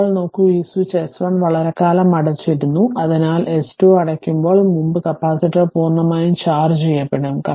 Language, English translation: Malayalam, Now, look this switch was closed for long time, hence before S 2 is closed the capacitor is fully charged